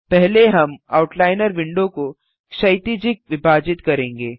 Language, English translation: Hindi, First we will divide the Outliner window horizontally